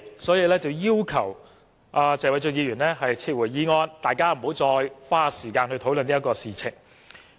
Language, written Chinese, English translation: Cantonese, 所以，他才要求謝偉俊議員撤回議案，大家不要再花時間討論這件事情。, Hence he requested Mr Paul TSE to withdraw the motion so that we can stop spending time discussing this matter